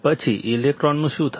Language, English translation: Gujarati, Then, what will happen to the electrons